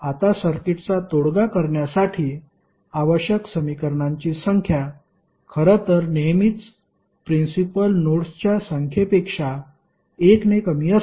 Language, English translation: Marathi, Now, the number of equations necessary to produce a solution for a circuit is in fact always 1 less than the number of principal nodes